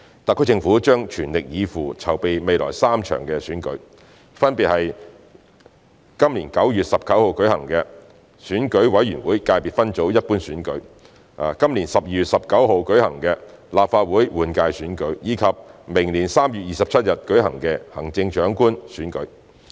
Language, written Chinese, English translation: Cantonese, 特區政府將全力以赴，籌備未來3場選舉，分別是將於今年9月19日舉行的選舉委員會界別分組一般選舉；今年12月19日舉行的立法會換屆選舉；以及明年3月27日舉行的行政長官選舉。, The SAR Government is fully committed to preparing for the three upcoming elections namely the Election Committee Subsector Ordinary Elections on 19 September this year the Legislative Council General Election on 19 December this year and the Chief Executive Election on 27 March next year